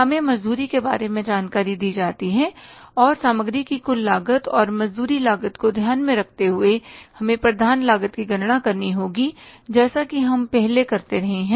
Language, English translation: Hindi, We are given the information about the wages and by taking into consideration this total cost of material and the wages cost, we will have to calculate the prime cost as we have been doing in the past